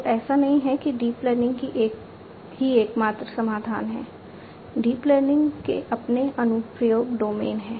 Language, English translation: Hindi, So, it is not like you know deep learning is the only solution, deep learning has its own application domains